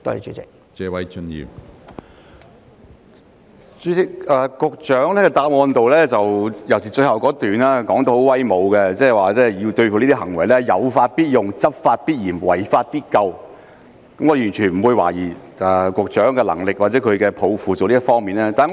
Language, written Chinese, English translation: Cantonese, 主席，局長的主體答覆，尤其是最後一段相當威武，表示會對這些行為"有法必用、執法必嚴、違法必究"，我完全不會懷疑局長在這些工作方面的能力或抱負。, President the Secretarys main reply especially the last paragraph is very imposing stating that laws are observed and strictly enforced and offenders are brought to book to combat such acts . I have not the slightest doubt about the Secretarys ability or ambition to complete these tasks